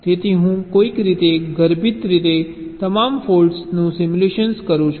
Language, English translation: Gujarati, so i am somehow implicitly simulating all the faults together